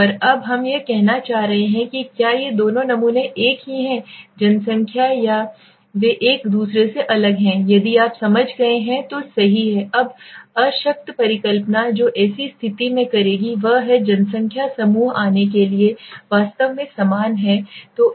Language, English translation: Hindi, And now we are trying to say whether these two samples are this coming from the same population or are they different from each other, right so assumption if you have understood by now the null hypothesis that would make in such situation is that the population groups from this to come are actually same right